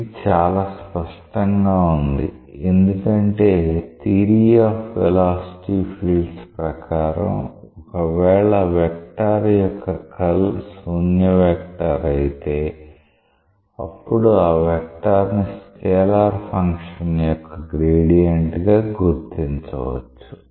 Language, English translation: Telugu, This is very much obvious because from the theory of vector fields, you know that if the curl of a vector is a null vector, then that vector may be represented as the gradient of a scalar function